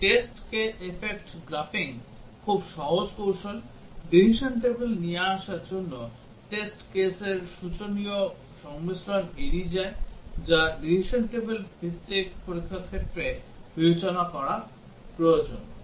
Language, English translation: Bengali, So cause effect graphing is very simple technique, to come up with the decision table, avoids the exponential combination of test cases that need to be considered in the case of a decision table based testing